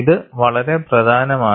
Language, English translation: Malayalam, It is very important